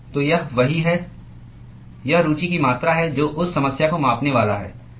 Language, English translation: Hindi, that is the quantity of interest which is going to quantify the problem that you are looking at